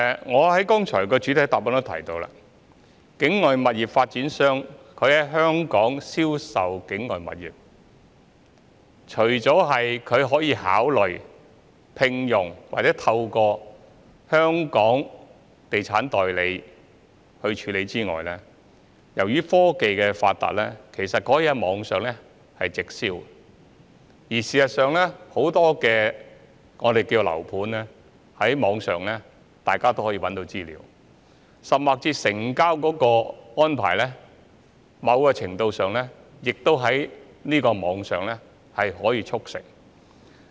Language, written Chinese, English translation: Cantonese, 我剛才在主體答覆也提到，境外物業發展商在香港銷售境外物業，除了可以考慮聘用或透過香港地產代理處理之外，由於科技發達，他們也可以在網上直銷，而事實上，大家也可以在網上找到很多樓盤的資料，甚至是在成交的安排方面，某程度上亦可以在網上促成。, As I said in the main reply earlier when putting up properties for sale in Hong Kong overseas property developers can consider hiring or engaging the service of local estate agents . Besides thanks to technological advancement they can also promote the sale of their properties direct online . As a matter of fact Members can find plenty of information on property development online and even in terms of transaction arrangements the Internet can somewhat facilitate property transactions too